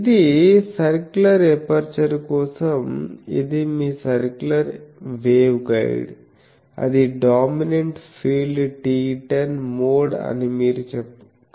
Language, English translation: Telugu, This is for circular aperture also your circular waveguide if you know you can find that dominant field is TE10 mode ok